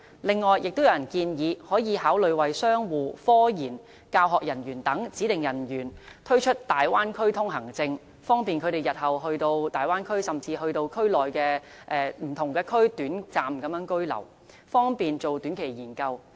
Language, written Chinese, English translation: Cantonese, 此外，亦有人建議考慮為商戶、科研和教學人員等指定人員推出大灣區通行證，方便他們日後前往大灣區甚至區內不同地方短暫居留，方便進行短期研究。, Moreover some people suggest that consideration should be given to providing a Bay Area pass for business operators science and research personnel and education employees for short staying in different parts of the Bay Area to facilitate short - term research work